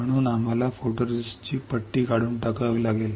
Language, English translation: Marathi, Now, you have to remove this photoresist